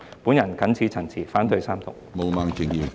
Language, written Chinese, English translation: Cantonese, 我謹此陳辭，反對三讀。, With these remarks I oppose the Third Reading